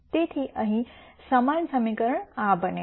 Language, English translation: Gujarati, So, the same equation becomes this here